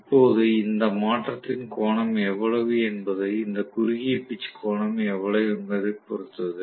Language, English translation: Tamil, Now, how much ever is the angle of this shift depends upon how much is this short pitch angle